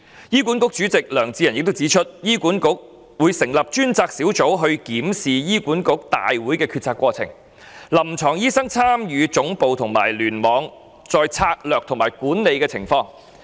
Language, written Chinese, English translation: Cantonese, 醫管局主席梁智仁指出，醫管局會成立專責小組檢視醫管局大會的決策過程，以及臨床醫生參與總部和聯網層面的策略及管理情況。, As pointed out by HA Chairman Prof John LEONG HA will set up a special task group to review the decision - making process of the HA Board and the involvement of clinicians in the process of strategy formulation and management at the head office and cluster levels